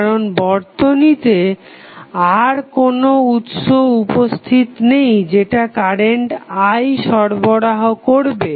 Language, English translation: Bengali, Because there is no any other source available in the circuit, which can supply current I